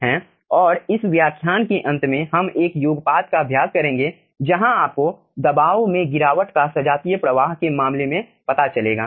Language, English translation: Hindi, and at the end of this lecture we will be also practicing 1 sum where you will be finding out pressure drop in case of homogeneous flow